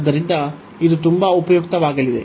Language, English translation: Kannada, So, this is going to be very useful